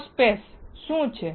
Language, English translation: Gujarati, What about aerospace